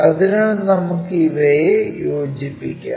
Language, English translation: Malayalam, So, this is the combination